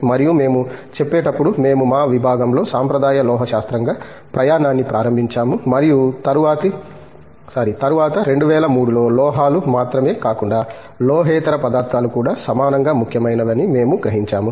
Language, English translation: Telugu, And when we say, as I was telling you we started the journey in our department as a traditional metallurgy and then around 2003, we realize that the non metallic materials are also equally important, not only the metals